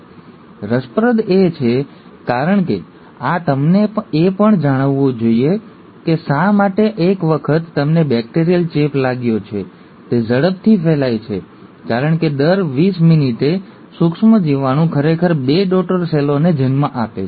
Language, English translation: Gujarati, Now that's interesting because this should also tell you why once you have a bacterial infection, it just spreads so quickly because every twenty minutes, the microbe is actually giving rise to two daughter cells